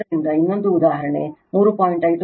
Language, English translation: Kannada, So, another one is example 3